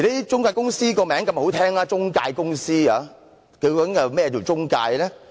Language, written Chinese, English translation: Cantonese, 中介公司的名字這麼好聽，究竟何謂"中介"呢？, Intermediaries by their name sound pleasing to the ear and what do intermediaries mean?